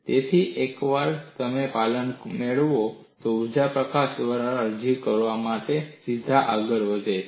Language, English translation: Gujarati, So, once you get the compliance, energy release rate is straight forward to apply